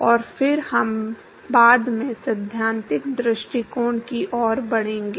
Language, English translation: Hindi, And then we will move to the theoretical approach later